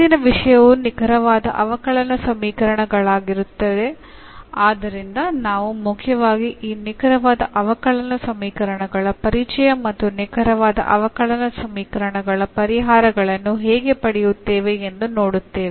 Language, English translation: Kannada, Today’s topic will be the exact differential equations, so we will mainly look for the introduction to these exact differential equations and also how to find the solutions of exact differential equations